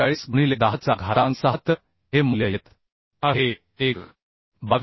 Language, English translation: Marathi, 45 into 10 to the 6 So these value is coming 1